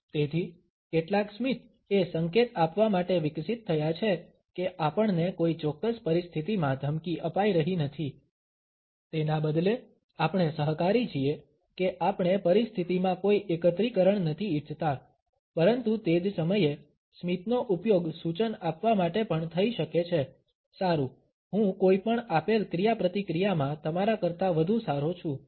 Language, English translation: Gujarati, So, some smiles have evolved to signal that we are not being threatening in a particular situation rather we are being co operative, that we do not want any aggregation in a situation, but at the same time the smile can also be used to suggest “well I am better than you in any given interaction”